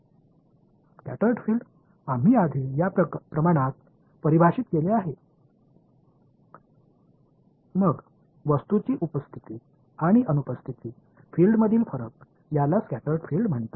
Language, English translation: Marathi, Scattered field we have defined this quantity earlier, then the difference between the fields in the presence and absence of an object is called the scattered field